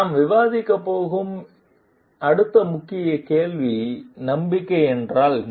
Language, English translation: Tamil, Next Key Question that we are going to discuss are what is trust